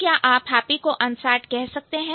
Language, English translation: Hindi, Can you say happy is unsad